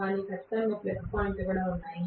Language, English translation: Telugu, But there are definitely plus points as well